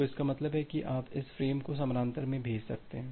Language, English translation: Hindi, So that means, you can send this frames in parallel